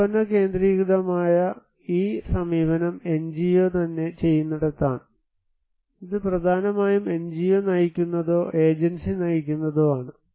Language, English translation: Malayalam, This product centric approach where it is done by the NGO itself, it is mainly NGO driven or agency driven